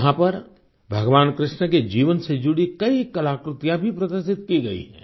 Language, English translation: Hindi, Here, many an artwork related to the life of Bhagwan Shrikrishna has been exhibited